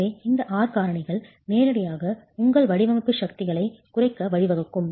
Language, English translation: Tamil, So, these are factors directly lead to reduction of your design forces